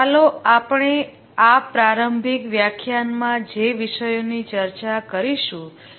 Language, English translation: Gujarati, Let's look at the topics that we will discuss in this introductory lecture